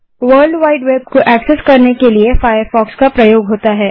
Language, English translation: Hindi, Firefox is used to access world wide web